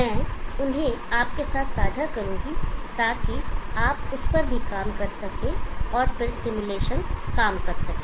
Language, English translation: Hindi, I will share them with you, so that you can also work on it, and then make the simulation work